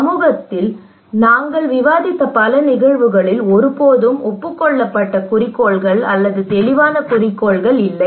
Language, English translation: Tamil, Many cases that we discussed with the community but we do not have any agreed objectives, or maybe we do not have any clear objectives